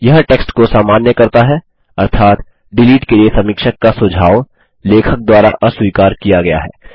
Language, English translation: Hindi, This makes the text normal, ie the suggestion of the reviewer to delete, has been rejected by the author